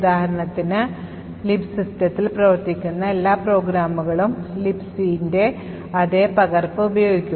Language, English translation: Malayalam, For example, Libc, all programs that are run in the system would use the same copy of Libc, so as not to duplicate Libc in the RAM